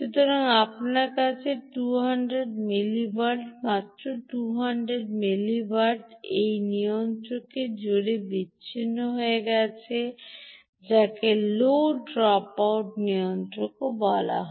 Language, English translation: Bengali, so you have two hundred mili watt, just two hundred milli watt, being dissipated across this regulator, which is also called the low dropout regulator